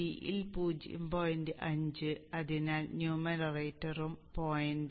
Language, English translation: Malayalam, 5 so the numerator is also 0